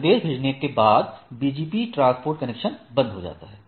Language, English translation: Hindi, After the message is sent, the BGP transport connection is closed